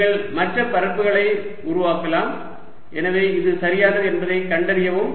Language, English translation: Tamil, you can make other areas hence find that this is correct